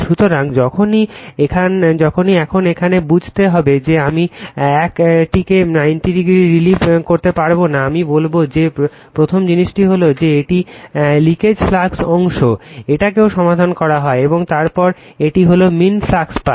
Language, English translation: Bengali, So, whenever, now here we have to understand your I cannot revolve this 1 to 90 degree, I will tell you that first thing is that this is the leak[age] leakage flux part is also solve, and then this is the mean flux path